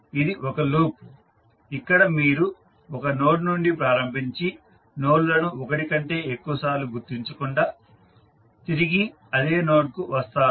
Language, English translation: Telugu, This is one loop where you are starting from the same node and coming back to the same node without tracing the nodes more than once